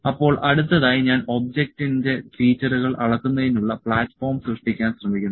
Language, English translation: Malayalam, So, next I am trying to generate the platform to measure the features of the object